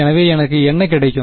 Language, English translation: Tamil, So, what do I get